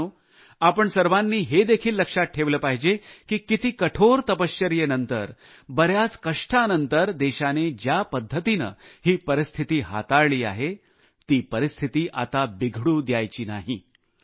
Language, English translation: Marathi, all of us also have to bear in mind that after such austere penance, and after so many hardships, the country's deft handling of the situation should not go in vain